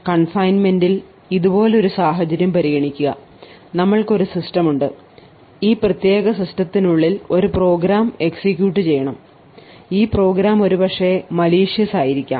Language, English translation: Malayalam, So, with confinement we had looked at something like this, we had a system over here and within this particular system we wanted to run a particular program and this program may be malicious